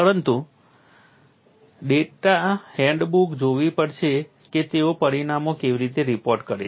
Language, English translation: Gujarati, But you will have to look at that data handbook how they reported this